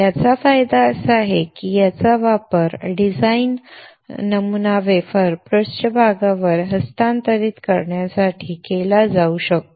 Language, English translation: Marathi, The advantage of this is that it can be used to transfer the design pattern to the wafer surface